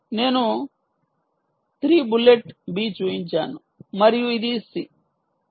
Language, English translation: Telugu, i have thrown, shown three bullets: b and this is c